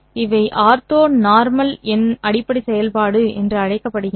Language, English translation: Tamil, These are called as ortho normal basis functions